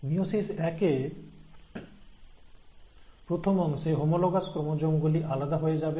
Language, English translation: Bengali, Now in meiosis one, the first part, the homologous chromosomes will get separated